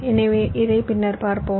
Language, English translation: Tamil, this we shall see later